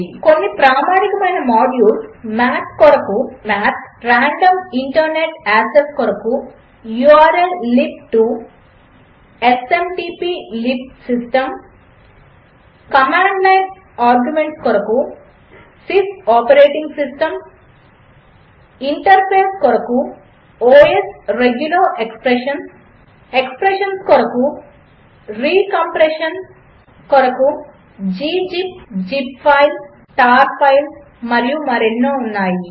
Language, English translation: Telugu, Some of the standard modules are, for Math: math, random for Internet access: urllib2, smtplib for System, Command line arguments: sys for Operating system interface: os for regular expressions: re for compression: g zip, zip file, tar file And there are lot more